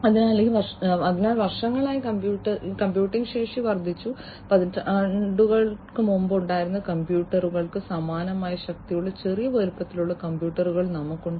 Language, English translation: Malayalam, So, computing capacity had also increased so, over the years we have now, you know, small sized computers that have the same power like the computers that were there several decades back